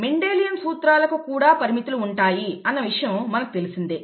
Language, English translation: Telugu, The Mendelian principles as we know have limitations